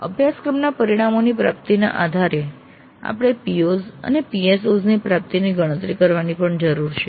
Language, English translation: Gujarati, Based on the attainments of the course outcomes we need also to compute the attainment of POs and PSOs